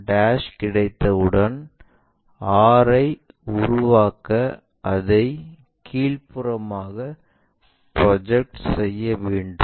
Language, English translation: Tamil, Once r' is there we can project that all the way down to construct r